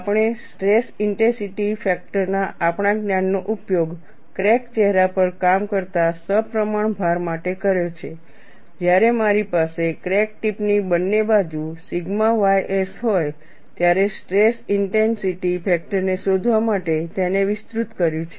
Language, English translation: Gujarati, We have used our knowledge of stress intensity factor for symmetric load acting on the crack phase, extended it for finding out the stress intensity factor when I have sigma ys on either side of the crack tip, and we have got the expression for K delta